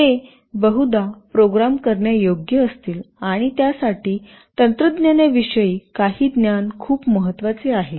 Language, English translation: Marathi, They will mostly be programmable and for that some knowledge about technology is very important